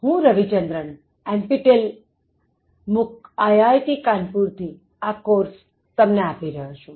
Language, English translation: Gujarati, I am Ravichandran giving you this course, from NPTEL MOOC, at IIT Kanpur